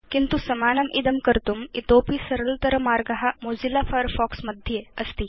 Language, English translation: Sanskrit, But there is an easier way to do the same thing with Mozilla Firefox